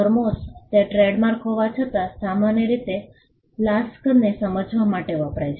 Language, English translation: Gujarati, Thermos though it is a trademark is commonly used to understand flasks